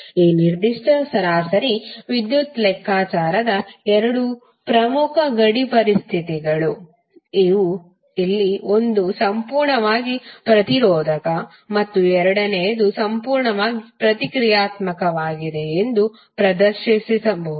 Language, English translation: Kannada, So these are the two important boundary conditions for this particular average power calculation, where you can demonstrate that one is for purely resistive and second is for purely reactive